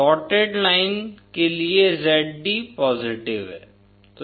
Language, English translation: Hindi, Zd is positive for a shorted line